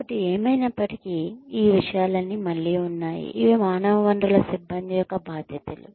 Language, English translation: Telugu, So anyway, all of these things are again, these are the responsibilities of the human resources personnel